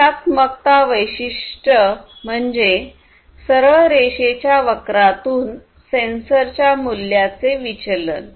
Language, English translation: Marathi, Then, the linearity characteristic is about that the deviation of a sensor has in its value from the straight line curve